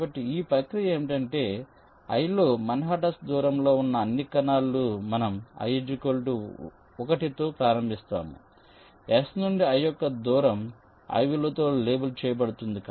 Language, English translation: Telugu, so what this process says is that in spec i, all the cells which are at an manhattan distance of all we will start with i, equal to one, distance of i from s, will be labeled with the value i